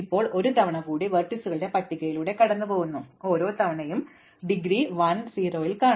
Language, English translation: Malayalam, Now, we go through the list one more time the list of vertices and every time will see an indegree 0 we add i to the queue